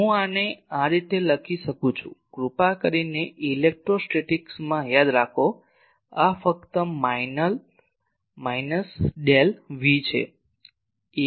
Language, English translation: Gujarati, I can write this as please remember in electrostatics this is simply minus Del V